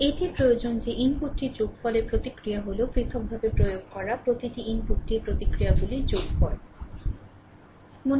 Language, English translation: Bengali, It requires that the response to a sum of the input right is the sum of the responses to each input applied separately